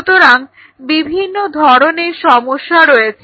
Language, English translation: Bengali, So, there are several problems